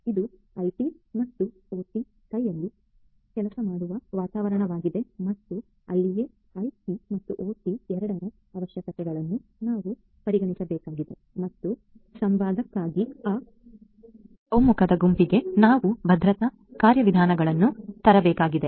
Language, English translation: Kannada, It is an environment where IT and OT work hand in hand and that is where we have to consider the features the requirements and so on of both IT and OT and we have to come up with security mechanisms to for that converged set of for the converse set of requirements